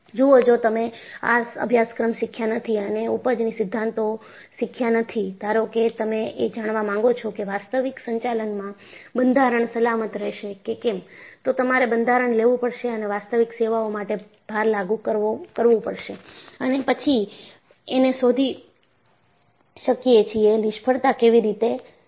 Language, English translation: Gujarati, See, if you are not learned this course, and learn the yield theories, suppose, you want to find out, whether a structure will remain safe in the actual operating, then you have to take the structure and apply the actual service loads and then, will may find out, how the failure will occur